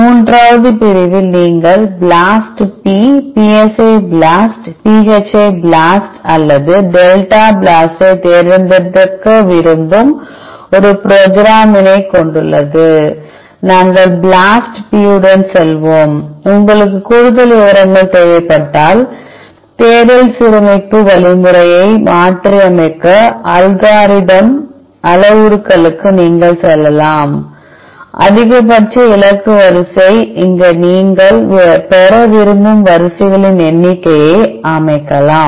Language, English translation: Tamil, The third section contains a program which you want to select BLAST p psi BLAST phi BLAST or delta BLAST, we will go with BLAST P, in case you will need further details you can go to the algorithm parameters to modify the search the alignment algorithm, max target sequence here you can set number of sequences you want to get